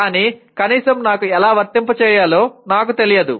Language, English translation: Telugu, But at least I do not know how to apply